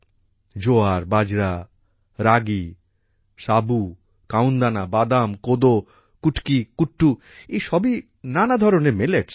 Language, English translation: Bengali, Jowar, Bajra, Ragi, Sawan, Kangni, Cheena, Kodo, Kutki, Kuttu, all these are just Millets